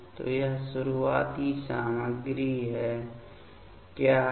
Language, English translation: Hindi, So, what is the starting materials here